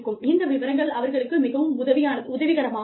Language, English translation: Tamil, So, these things might be, more helpful for them